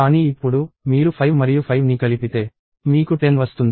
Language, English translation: Telugu, But now, you add 5 and 5 together; you get a 10